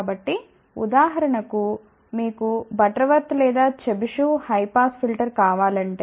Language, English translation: Telugu, So, for example, if you want Butterworth or Chebyshev high pass filter